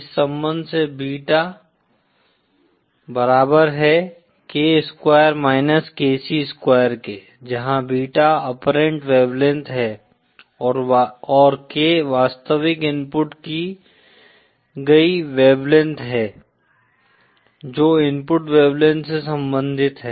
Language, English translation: Hindi, By this relationship of beta is equal to K square minus KC square, Where beta is the apparent wavelength and K is the real inputted wave length, related to the inputted wavelength is given by this relationships